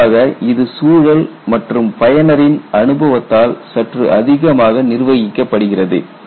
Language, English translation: Tamil, Generally it is slightly more governed by the environment and the experience of the user